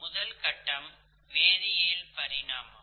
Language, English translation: Tamil, The very first phase is of chemical evolution